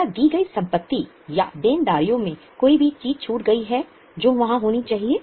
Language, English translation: Hindi, Is any item missed out in the given assets or liabilities which should be there